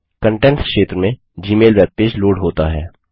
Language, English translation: Hindi, The gmail webpage loads in the Contents area